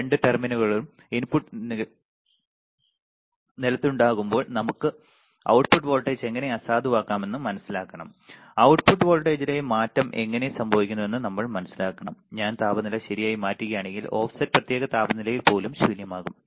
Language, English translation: Malayalam, We have to understand how we can nullify the output voltage when both the terminals are the input are ground, we have to understand how the change in the output voltage would happen even the offset is nulled at particular temperature if I change the temperature right